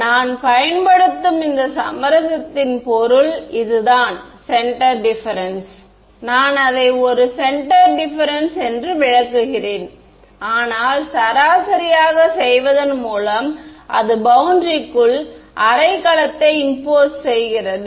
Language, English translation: Tamil, So, that is the meaning of this compromise I am using a centre difference I am interpreting it as a centre difference, but it is being by doing this averaging it is being imposed half a cell inside the boundary